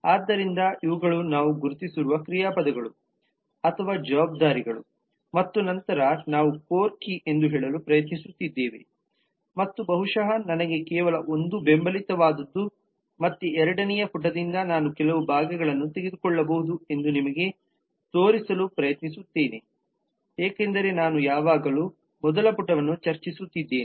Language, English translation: Kannada, so these are the verbs or responsibilities that we have identified and then we are trying to say that what is core key and what possibly is just supportive one let me just again go back to this and then try to show you maybe i can pick up some parts from the second page because i am always discussing the first page